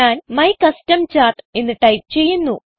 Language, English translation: Malayalam, I will type my custom chart